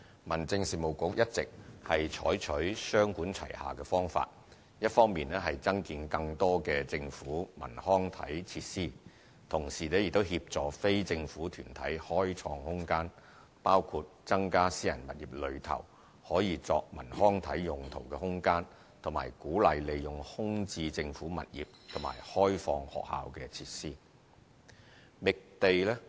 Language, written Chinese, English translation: Cantonese, 民政事務局一直採取雙管齊下的方法：一方面增建更多政府文康體設施，同時亦協助非政府團體開創空間，包括增加私人物業內可作文康體用途的空間，以及鼓勵利用空置政府物業和開放學校設施。, On top of increasing the number of government cultural recreation and sports facilities it also helps non - government organizations create space with measures which include increasing the space available for cultural recreation and sports use in private premises as well as encouraging the use of vacant government properties and opened - up facilities at schools